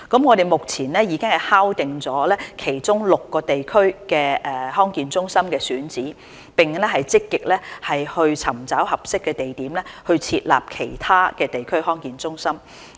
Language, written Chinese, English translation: Cantonese, 我們目前已經敲定其中6個地區的康健中心選址，並正積極尋找合適地點設立其他地區康健中心。, At present we have already decided on the sites for DHCs in six of the districts and are actively looking for suitable locations to set up other DHCs